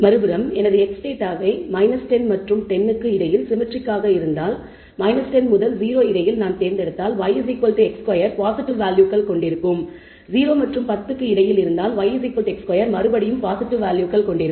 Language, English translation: Tamil, On the other hand if the data if I chosen my x data between minus 10 and 10 symmetrically for between minus 10 and 0 y equals x square will have positive values between 0 and 10 y equals x square will have positive values again although x is positive y is positive in this range and between negative values for x y is still positive